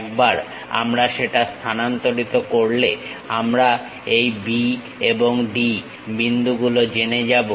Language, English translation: Bengali, Once we transfer that we know these points B and D